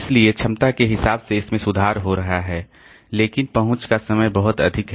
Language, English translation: Hindi, So, capacity wise it is improving but the access time is pretty high